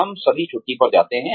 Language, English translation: Hindi, We all go on vacation